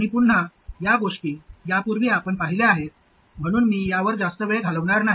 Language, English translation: Marathi, And again, these are things that you have already seen before, so I am not going to spend much time on this